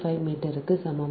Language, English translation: Tamil, so this is two meter